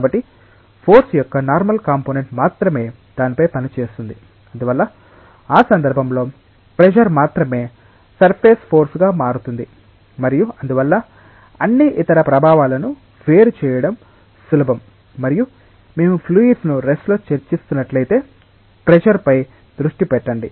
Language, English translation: Telugu, So, only the normal component of force is acting on it and therefore, pressure becomes the only relevance surface force in that context and that is why, it is easy to isolate all other affects and just focus on pressure, if we are discussing about fluids at rest